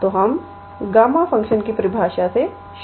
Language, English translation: Hindi, So, let us start with the definition of gamma function